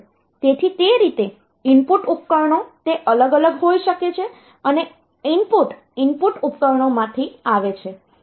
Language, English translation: Gujarati, So, that way, input devices it may vary and the input come from the input devices